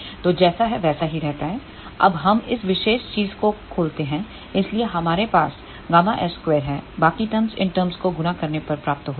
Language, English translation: Hindi, So, that remains as it is, now we open this particular thing so, we have gamma s square minus the other terms are obtained multiplying these terms